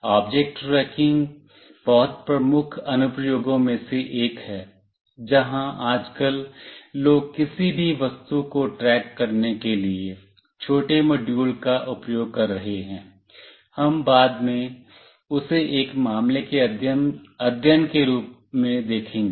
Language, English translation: Hindi, Object tracking is one of the very major applications, where nowadays people are using small modules to track any object, we will look into that as a case study later